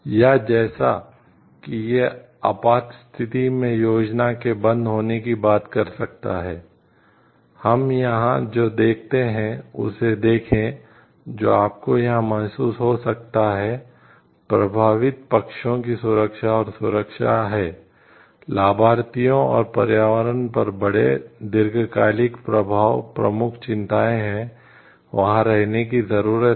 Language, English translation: Hindi, Or like of it can also talk of like plan shutdowns in emergencies, see what we see over here what you can feel over here, is the safety and security of the affected parties the beneficiaries the and the environment at large the long term effect on it are the major concerns which needs to be there